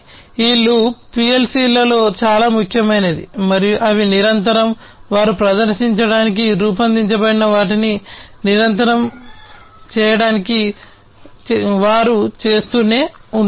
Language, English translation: Telugu, So, this loop is very important in PLC’s and they continuously, they keep on doing the stuff to continuously do whatever they are designed to perform